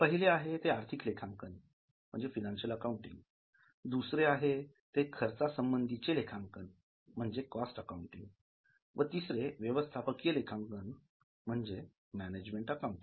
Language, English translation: Marathi, The first one is financial accounting, then there is cost accounting and there is management accounting